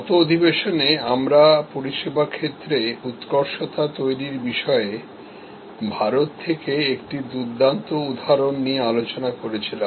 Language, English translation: Bengali, In the last session, we were discussing about a great example from India about creating service excellence